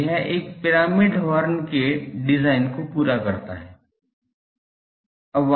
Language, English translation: Hindi, So, this completes the design of a pyramidal horn